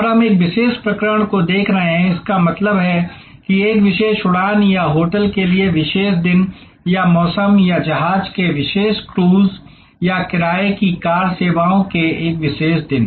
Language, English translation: Hindi, And we are looking in to one particular episode; that means one particular flight or one particular day or season of a hotel or one particular cruise of a ship or one particular day of rental car services